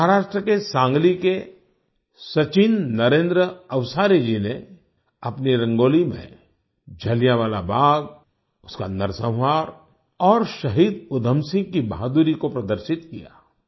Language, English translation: Hindi, Sachin Narendra Avsari ji of Sangli Maharashtra, in his Rangoli, has depicted Jallianwala Bagh, the massacre and the bravery of Shaheed Udham Singh